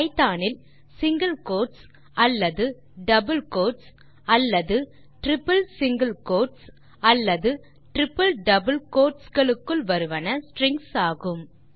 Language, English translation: Tamil, In Python anything within either single quotes or double quotes or triple single quotes or triple double quotes are strings